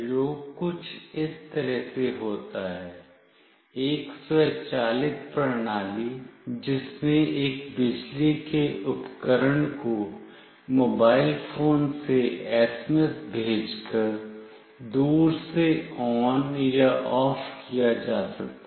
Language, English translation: Hindi, The experiment goes like this; an automated system in which an electric appliance can be turned on or off remotely by sending a SMS from a mobile phone